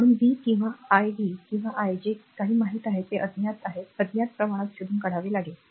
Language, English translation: Marathi, So, you have to find out v or i v or i right whatever it is known are unknown, unknown quantities you have to find out